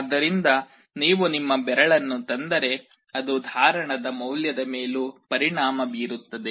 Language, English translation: Kannada, So, if you bring your finger that will also affect the value of the capacitance